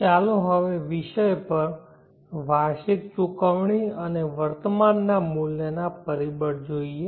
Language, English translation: Gujarati, Let us now look at the topic annual payment and present worth factor